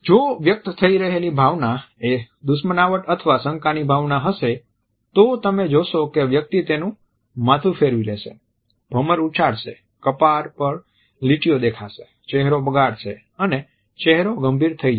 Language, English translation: Gujarati, If it is the emotion of hostility and suspicion which is being passed on, you would find that the head would turn away, the eyebrows would furrow, lines would appear on the forehead, mouth will drupe and go critical